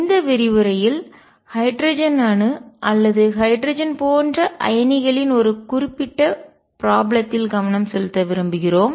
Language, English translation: Tamil, In this lecture we want to focus on a specific problem of the hydrogen atom or hydrogen like ions